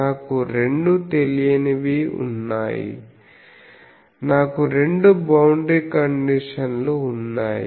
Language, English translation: Telugu, I have 2 unknowns I have 2 boundary conditions